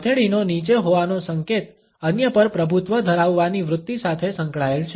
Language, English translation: Gujarati, A downwards indication of palm is associated with the tendency to dominate others